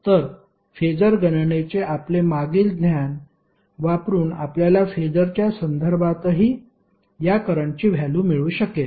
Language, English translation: Marathi, So, using your previous knowledge of phasor calculation you can find out the value of these currents in terms of phasor also